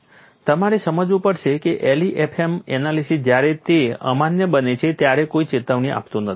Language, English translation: Gujarati, You have to understand the LEFM analysis gives no warning when it becomes invalid